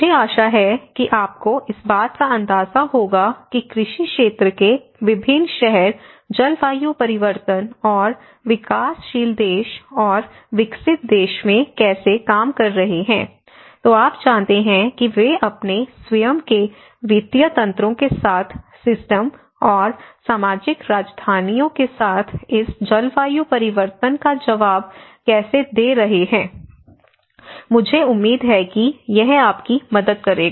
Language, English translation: Hindi, So, I hope you got an idea of how different cities from an agricultural sector has been working on the climate change and the developing country and the developed country, you know so how they are responding to this climate change with their own financial mechanisms with support systems and with social capitals, right I hope this help you